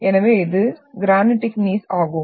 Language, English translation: Tamil, So this were talking about the granitic Gneiss